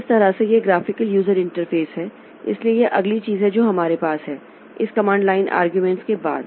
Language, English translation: Hindi, So, that way this graphical user interface, so this is the next thing that we have over and after this command line argument